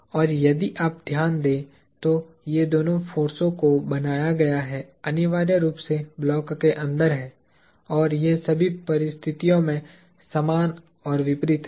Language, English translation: Hindi, And, these two forces if you notice, are created, are essentially inside the block and they are equal and opposite under all circumstances